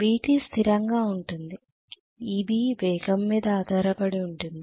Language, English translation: Telugu, VT is fixed and EB depends upon the speed